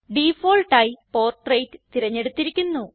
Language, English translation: Malayalam, By default Portrait is selected